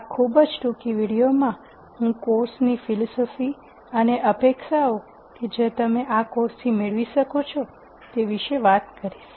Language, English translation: Gujarati, In this very brief video, I am going to talk about the course philosophy and the expectations that you could have from this course